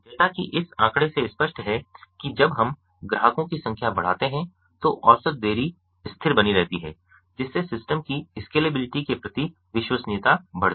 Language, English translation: Hindi, as is evident from this figure ah, as we increase the number of clients, the mean delay remains constant, thus leading credence to the scalability of the system